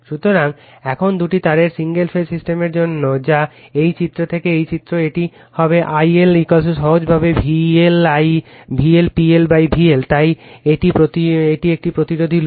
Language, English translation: Bengali, So, now for the two wire single phase system that is figure this from this figure, it will be I L is equal to simply V L right P L upon V L, so it is a resistive load